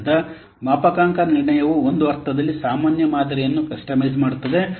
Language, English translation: Kannada, So, calibration is in a sense a customizing a generic model